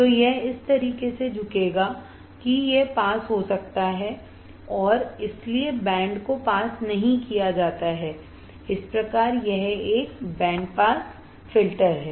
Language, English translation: Hindi, So, it will be bend like this that can pass and that is why the band is not passed, thus there it is a band pass filter